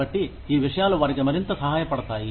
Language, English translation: Telugu, So, these things might be, more helpful for them